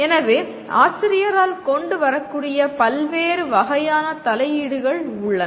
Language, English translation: Tamil, So there are a large variety of types of interventions that can be brought in by the teacher